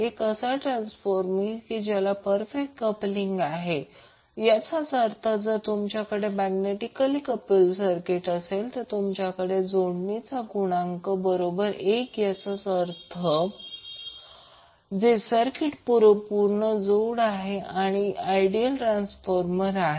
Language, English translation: Marathi, So it means that if you have the magnetically coupled circuit and you have the coupling coefficient equal to one that means the circuit which has perfect coupling will be the ideal transformer